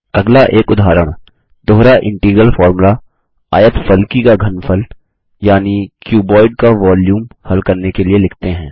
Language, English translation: Hindi, Next let us write an example double integral formula to calculate the volume of a cuboid